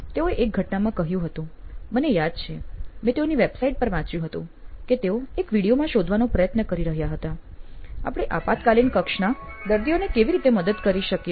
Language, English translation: Gujarati, They said one of the cases I remember having read in a website or in one of their videos is they were trying to figure out, ‘How can we help emergency room patients